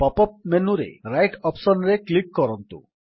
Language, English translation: Odia, In the pop up menu, click on the Right option